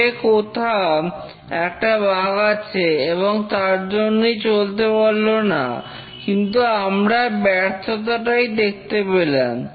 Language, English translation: Bengali, There is a bug somewhere in the code and that caused the failure